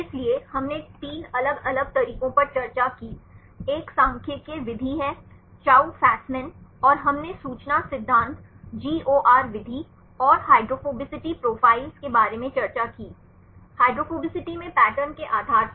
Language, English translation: Hindi, So, we discussed three different methods; one is a statistical method, Chou Fasman and we discussed about information theory GOR method and the hydrophobicity profiles; based on the patterns in hydrophobicity